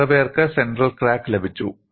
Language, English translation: Malayalam, How many have got the central crack